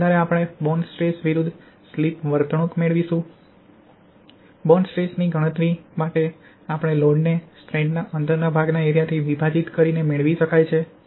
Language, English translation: Gujarati, Based on this we can determine the bond stress slip behaviour, bond stress can be computed by dividing the load by the embedded area of the strand inside the concrete